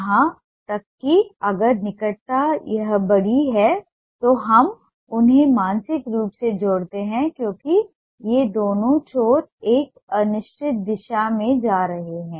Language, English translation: Hindi, even if the proximity is this big, we mentally connect them because these two ends are going in a certain direction